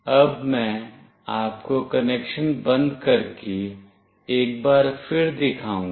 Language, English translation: Hindi, Now, I will show you once more by switching off the connection